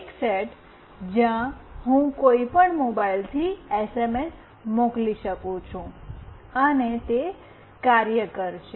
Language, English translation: Gujarati, One set where I can send SMS from any mobile, and it will work